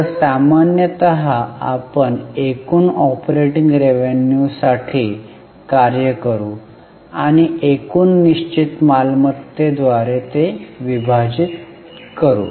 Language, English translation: Marathi, So, normally we will go for operating revenue, total operating revenue and divide it by total fixed assets